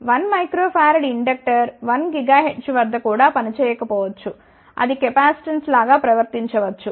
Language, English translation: Telugu, A 1 microhenry inductor may not even work at 1 gigahertz, it may behave like a capacitance